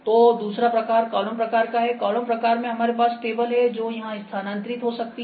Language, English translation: Hindi, So, second one is column type in column type, we have the table that can move here